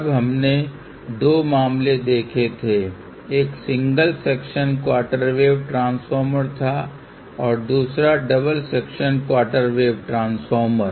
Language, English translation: Hindi, Then we had seentwo cases; one was single section quarter wave transformer and then we had seen double section quarter wave transformer